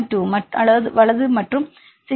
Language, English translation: Tamil, 2, right and 16